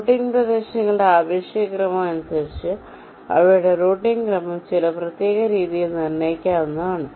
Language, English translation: Malayalam, depending on the relative order of the routing regions, their order of routing can be determined in some particular way